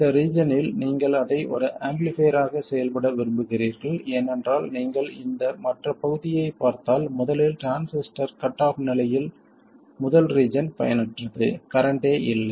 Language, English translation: Tamil, And this is the region you would like to operate as an amplifier because if you look at this other region, first of all the first region where the transistor is cut off this is useless